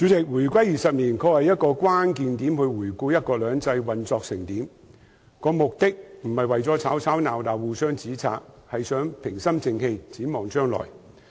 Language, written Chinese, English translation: Cantonese, 主席，回歸20年的確是一個關鍵點，用以回顧"一國兩制"運作得怎樣，不是為了吵吵鬧鬧、互相指摘，而是希望大家平心靜氣地展望將來。, President the 20 anniversary of the reunification is indeed a critical point for reviewing how one country two systems has been operating . It is not a time for bickering or accusing each other but a time for looking forward to the future in a calm manner